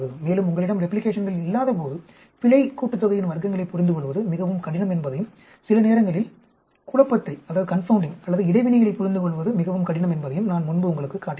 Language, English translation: Tamil, And I also showed you before, that when you do not have replication, it becomes very, very difficult to understand error sum of squares or even sometimes it is very difficult to understand confounding or interactions